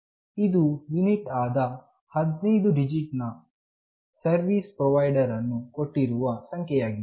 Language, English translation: Kannada, This is a unique 15 digit number assigned by the service provider